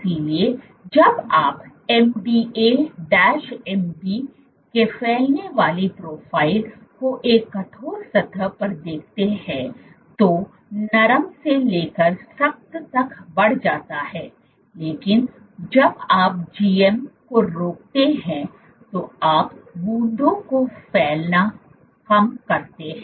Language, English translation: Hindi, So, when you look at the spreading profile of MDA MB on a stiff surface, soft to stiff there is an increase this is soft this is stiff, but when you inhibit GM you are spreading drops